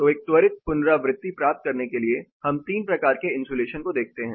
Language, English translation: Hindi, So, to get a quick recap we looked at 3 types of insulation